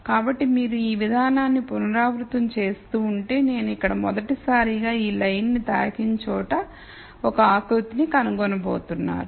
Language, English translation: Telugu, So, if you keep repeating this process, you are going to nd a contour here where I touch this line for the first time